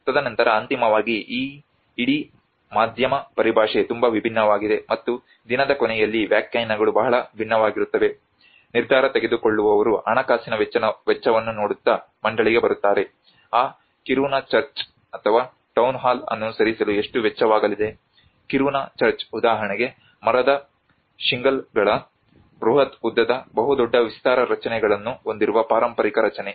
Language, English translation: Kannada, And then finally this whole media jargon is very different and interpretations are very different at the end of the day the decision makers come onto the board looking at the financial cost how much it is going to cost to move that Kiruna Church or the Town Hall, a Kiruna Church, for example, the heritage structure which has a huge long almost very long span structures of the wooden shingles